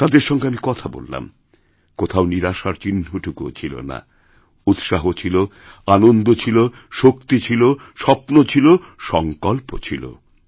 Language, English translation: Bengali, I talked to them, there was no sign of despair; there was only enthusiasm, optimism, energy, dreams and a sense of resolve